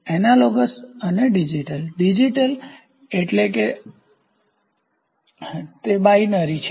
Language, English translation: Gujarati, Analog and digital, Digital means it is binary